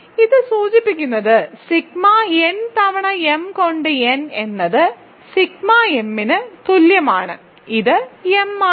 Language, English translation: Malayalam, So, this implies sigma n times m by n is equal to sigma m which is m